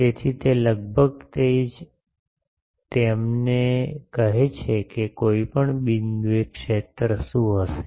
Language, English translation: Gujarati, So, that is all almost that it tells us that what will be the field at any point